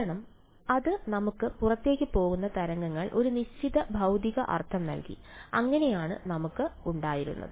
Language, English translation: Malayalam, Because it gave us a certain physical meaning of outgoing waves so that is what we had